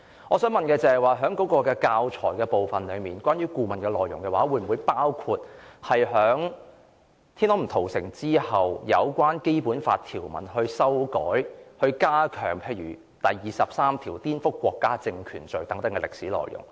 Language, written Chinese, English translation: Cantonese, 我想問的是，教材部分關於顧問篩選後的內容，會否包括天安門"屠城"之後，有關《基本法》條文的修改、加強例如第二十三條顛覆國家政權罪等歷史內容？, I want to ask about the teaching materials . After the screening by the consultant will the teaching materials cover the historical incidents in aftermath of the Tiananmen Square Massacre including the amendments to the draft Basic Law and the offence of inciting subversion of state power under Article 23 of the Basic Law?